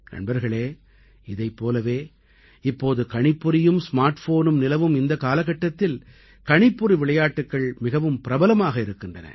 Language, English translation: Tamil, Friends, similarly in this era of computers and smartphones, there is a big trend of computer games